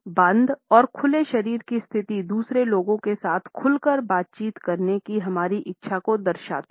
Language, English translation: Hindi, The closed and open body positions indicate our desire to interact openly with other people